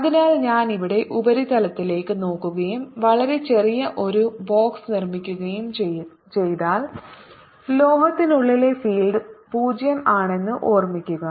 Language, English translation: Malayalam, so if i look at the surface out here and make a very small box, keep in mind that field inside the metal is zero